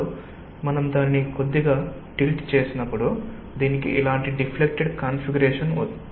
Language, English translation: Telugu, so when you have slightly tilted it, it has a deformed not deformed but deflected configuration like this